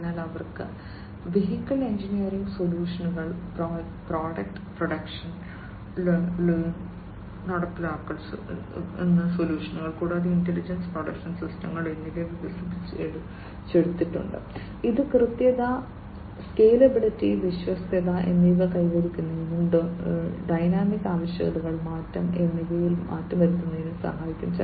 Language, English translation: Malayalam, So, they have vehicle engineering solutions, product production line implementation solutions, and the intelligent production systems are developed by them, which can be help in achieving accuracy, scalability, reliability and also being able to change in terms of the dynamic requirements, change in the dynamic requirements, and so on